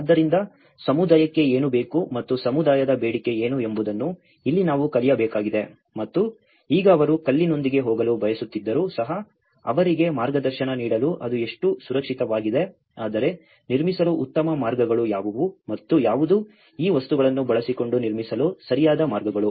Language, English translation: Kannada, So, this is where we have to learn that what community needs and what community demands and now to give them some guidance even if they are wishing to go with the stone how safe it is but what are the better ways to construct and what are the rightful ways to construct using these materials